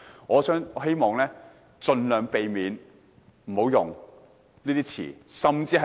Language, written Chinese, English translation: Cantonese, 我希望盡量避免使用惡毒詞語。, I hope that Members can refrain from using malicious terms